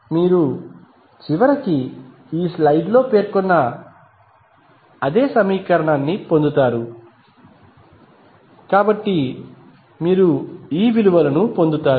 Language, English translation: Telugu, You will eventually get the same equation which is mentioned in this slide, so you will get these values